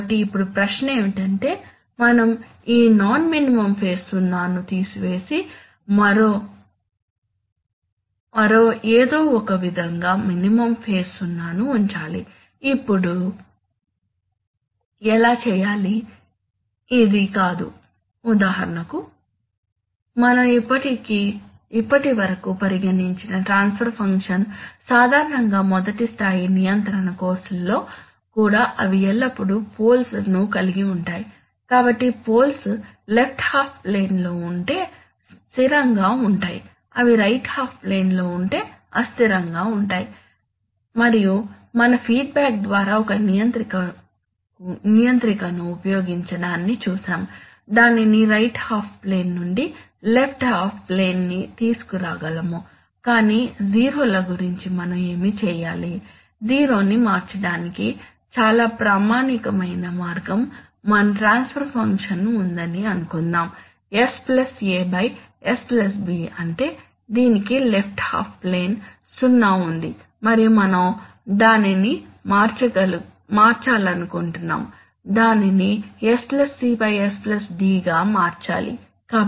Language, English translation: Telugu, So now the question is that, so perhaps we should remove this non minimum phase zero and somehow put a minimum phase zero, now how to do that, this is not, for example we know that if we have, You know, the, the kind of transfer function that we have considered till now so far, generally also in first level control courses they always have the poles, choose color, so the poles can be in the, in the, if they are in the left half plane then stable, if they are in the right half plane unstable and we by feedback, we have seen using a controller, we can bring it from right half plane to left half plane but what do we do about zeros, one very standard way of changing zero, suppose our transfer function has s + a by s + b that is, it has the left half plane 0 and we want to change it to, we have to make it to s+ c by s + d